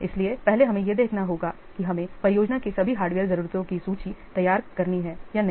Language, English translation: Hindi, So, first we have to see, first we have to make or we have to prepare a list of all the hardware needs of the project